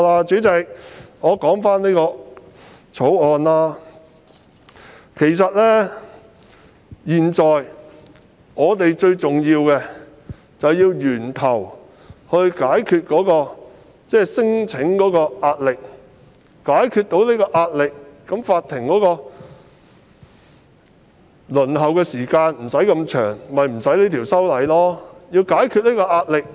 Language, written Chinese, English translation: Cantonese, 主席，回到《條例草案》本身，現時最重要的其實是從源頭解決聲請個案造成的壓力，若能如此，法庭的輪候時間便可縮短，當局便無須修訂法例。, President with regard to the Bill itself the most important task now is to address the pressure brought about by claim cases at source . By doing so court waiting time can be shortened and there will be no need to amend the law